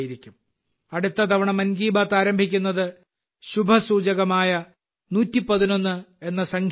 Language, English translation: Malayalam, Next time 'Mann Ki Baat' starting with the auspicious number 111… what could be better than that